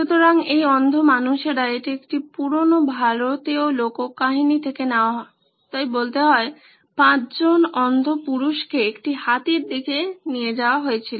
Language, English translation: Bengali, So these blind men, this is from an old Indian folklore so to speak, 5 men blind men were moved on to an elephant